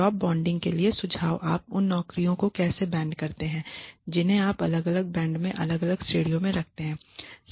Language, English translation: Hindi, Suggestions for job banding, how do you band the jobs you put them into different bands different categories